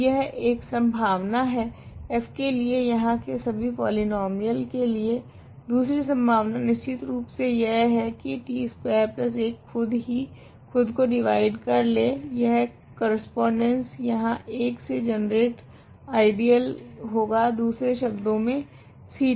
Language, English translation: Hindi, So, that one possibility for f is all the polynomials here; the second possibility is of course, t squared plus 1 t squared plus 1 itself divide t squared plus 1 these corresponds to here the ideal generated by 1, in other words is C t